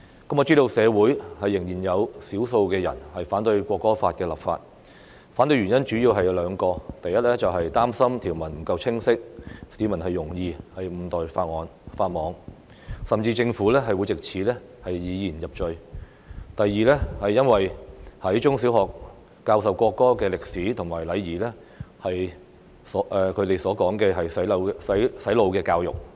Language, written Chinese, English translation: Cantonese, 我知道社會上仍有少數人反對《國歌法》立法，反對原因主要有兩個：第一，擔心條文不夠清晰，市民容易誤墮法網，甚至政府會藉此以言入罪；第二，在中學和小學教授國歌的歷史和禮儀被他們說成是"洗腦教育"。, I understand that there are still a small number of people opposing the legislation of the National Anthem Law in the society for two reasons . First they are concerned that the public will contravene the law inadvertently or the Government will thereby incriminate someone for expressing his views as the provisions are not clear enough . Second the inclusion of the history and etiquette for playing and singing the national anthem in primary and secondary education is brainwashing education according to them